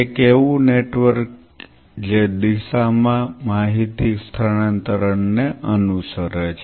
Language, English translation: Gujarati, A network which follows a information transfer in a direction